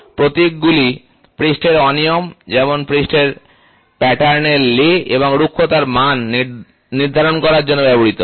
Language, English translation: Bengali, Symbols are used to designate surface irregularities such as, lay of the surface pattern and the roughness value